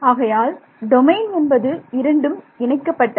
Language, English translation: Tamil, So, domain is the union of both total domain